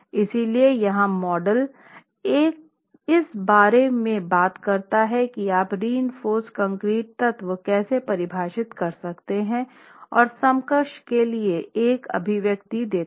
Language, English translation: Hindi, So, the model here talks about how you can actually take into account the confining effect of the reinforced concrete element and gives an expression for the equivalent ultimate stress block